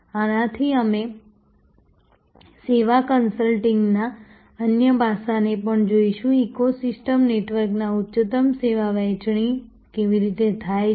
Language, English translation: Gujarati, From, this we will also look at another aspect of the service consulting, how higher end service sharing across an ecosystem network is done